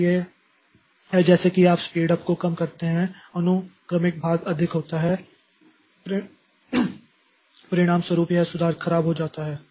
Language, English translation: Hindi, So these are as a as you go down, the speed up, the sequential portion is more as a result, this improvement becomes poor